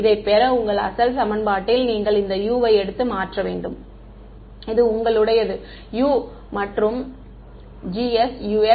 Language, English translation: Tamil, You should take this U and substituted into your original equation to get this one, this is your U right G S U x; G s U x